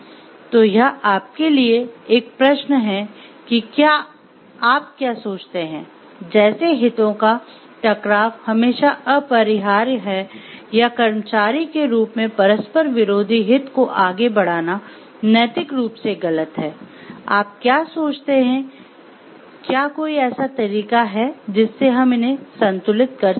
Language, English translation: Hindi, So, it is a question for you to ponder on like do you think, like conflicts of interest are always unavoidable or is it morally incorrect to pursue conflicting interest as an employee, what do you think, or is there any way so, that we can balance these